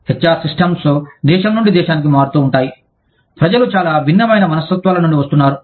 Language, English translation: Telugu, HR systems, vary from country to country, for the simple reason that, people are coming from, very different mindsets